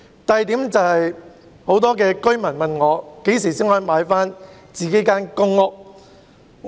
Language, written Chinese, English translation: Cantonese, 第二點，很多居民問我何時才可以購回自己的公屋單位。, Second many public rental housing PRH tenants have asked me when they could purchase their own PRH flats